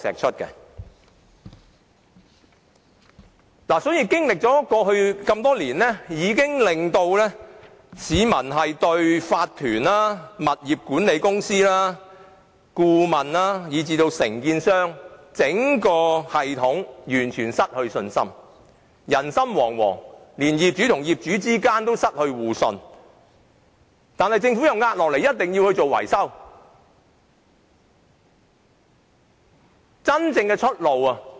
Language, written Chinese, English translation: Cantonese, 所以，過去多年出現的圍標問題，已令市民對業主立案法團、物業管理公司、顧問以至承建商整個系統完全失去信心，人心惶惶，連業主與業主之間也失去互信，政府卻又施壓一定要他們進行維修。, As a result bid - rigging in the last few years has caused people to completely lose faith in the entire system which comprises owners corporations property management companies consultants and contractors . People become anxious and even the trust among owners is gone . Yet the Government pressurizes them into carrying out maintenance